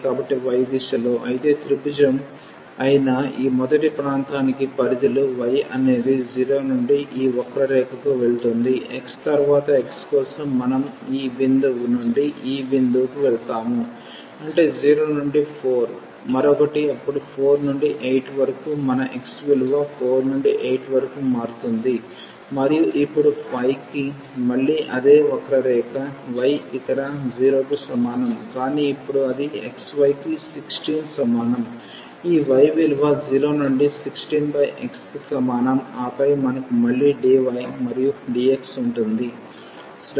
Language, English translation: Telugu, So, in the direction of y; however, ranges for this first region which is this triangle y goes from 0 to this curve which is x and then for x we will move from this point to this point; that means, 0 to 4 the another one then 4 to 8 our x will vary from 4 to 8 and now for the y its again the same curve y is equal to 0 here, but now there it is x y is equal to 16